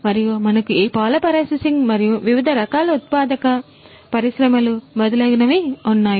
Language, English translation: Telugu, And, we have beyond this milk processing and different types of manufacturing industries and so on and so forth